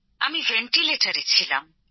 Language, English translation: Bengali, I was on the ventilator